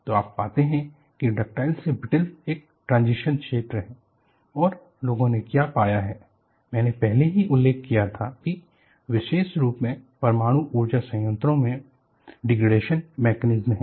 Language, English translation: Hindi, So, you find there is a transition zone, from ductile to brittle and what people have found is, I had already mentioned that, there are degradation mechanisms, particularly in nuclear power plants